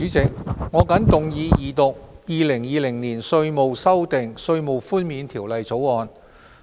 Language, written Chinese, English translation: Cantonese, 主席，我謹動議二讀《2020年稅務條例草案》。, President I move the Second Reading of the Inland Revenue Amendment Bill 2020 the Bill